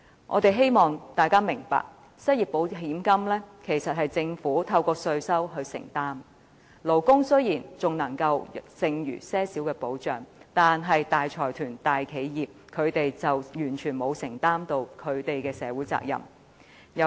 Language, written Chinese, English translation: Cantonese, 我希望大家明白，失業保險金其實是政府透過稅收來承擔的責任，勞工雖然因此得到少許保障，但大財團、大企業則可完全免除社會責任。, I hope Members will understand that the setting up of an unemployment insurance fund implies that the Government will bear its responsibilities through tax . While employees can get some kind of protection consortiums and big corporations can totally shirk their social responsibilities